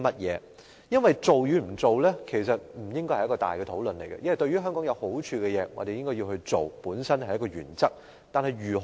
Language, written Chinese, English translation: Cantonese, 因為做與不做不應再進行大討論，對於香港有益的事情，我們應該去做，這是我們的原則。, It is because no more major discussion should be conducted on whether or not re - industrialization should be implemented . Our principle is we should do things which are beneficial to Hong Kong